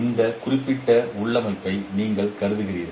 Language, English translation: Tamil, You consider this particular configuration